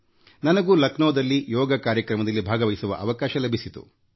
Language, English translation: Kannada, I too had the opportunity to participate in the Yoga event held in Lucknow